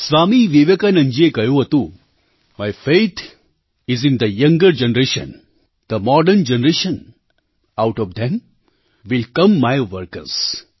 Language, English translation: Gujarati, Swami Vivekanand ji had observed, "My faith is in the younger generation, the modern generation; out of them will come my workers"